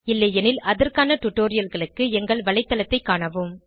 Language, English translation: Tamil, If not, watch the relevant tutorials available at our website